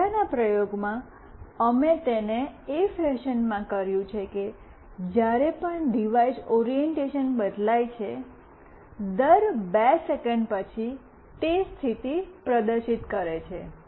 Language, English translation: Gujarati, In the previous experiment, we have done it in a fashion that whenever the device orientation changes, after every 2 seconds it is displaying the status